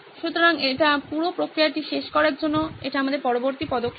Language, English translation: Bengali, So that would be our next step to end this whole process